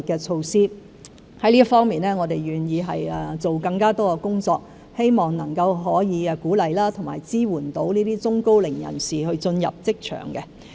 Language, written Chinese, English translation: Cantonese, 就這方面，我們願意多做工作，希望鼓勵和支援中高齡人士進入職場。, In this regard we are willing to do more hoping to encourage and support the middle - aged and the elderly to join the job market